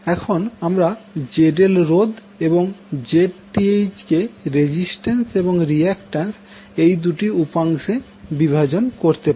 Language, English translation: Bengali, So, now Zth and ZL you can divide into the resistance and the reactance component